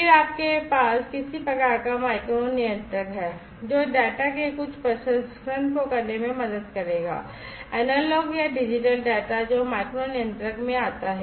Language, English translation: Hindi, Then you have some kind of a micro controller, which will help in doing some processing of the data the analog or the digital data that comes in to the micro controller